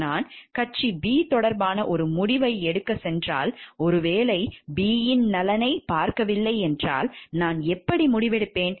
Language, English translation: Tamil, If I go take a decision which is concerning party b, maybe I am not looking into the interest of the party a, then how do I decide